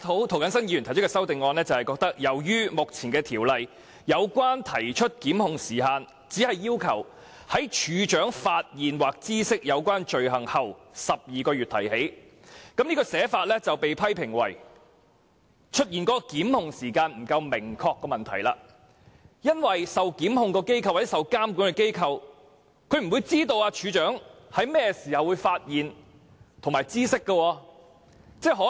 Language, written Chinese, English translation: Cantonese, 涂謹申議員提出修正案，是由於《條例草案》就提出檢控的時限，只要求在"處長發現或知悉有關罪行後12個月內提起"，這寫法被批評為會出現檢控時間不明確的問題，因為受檢控或受監管的機構不會知道處長甚麼時候會發現或知悉罪行。, Mr James TO proposed an amendment for the reason that as far as the time limit for prosecution is concerned the Bill only stipulates that proceedings may be instituted within 12 months after the offence is discovered by or comes to the notice of the Registrar . The formulation of this provision has been criticized for being ambiguous about the time limit for prosecution for the organization being prosecuted or regulated will not know when the offence is discovered by or comes to the notice of the Registrar